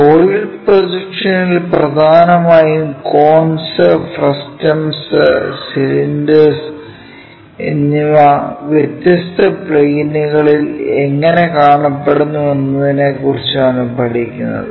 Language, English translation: Malayalam, And, in our projection of solids we will learn about mainly the cones frustums cylinders, how they really look like on different planes